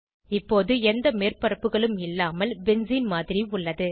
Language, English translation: Tamil, Now, we have a model of benzene without any surfaces